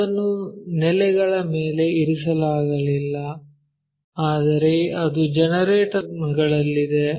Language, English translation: Kannada, It is not resting on base, but on its generators